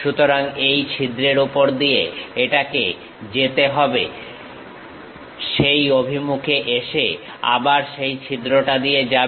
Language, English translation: Bengali, So, over this hole it has to go, come in that direction, again pass through that hole and goes